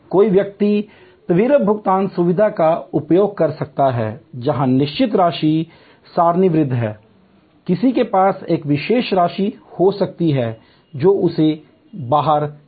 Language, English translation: Hindi, Somebody may use the quick pay facility where fixed amounts are tabulated, somebody may have a particular amount which is outside that